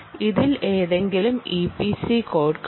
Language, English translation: Malayalam, there is any e p c code sitting on this